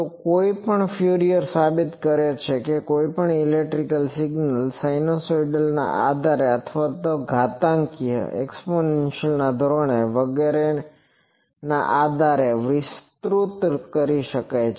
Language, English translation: Gujarati, Where actually we do that any were actually Fourier prove that any electrical signal can be expanded in a sinusoidal basis or exponential basis etc